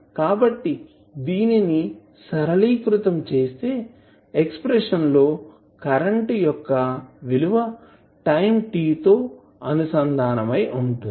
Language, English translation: Telugu, So, this will be simplified for expression for current I with respect to time t